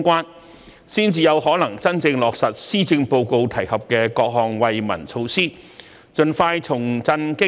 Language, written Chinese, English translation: Cantonese, 如此一來，才有可能真正落實施政報告提及的各項惠民措施，盡快重振經濟，改善民生。, Only by doing so can we genuinely take forward various relief initiatives proposed in the Policy Address and revitalize the economy and improve peoples livelihood as soon as possible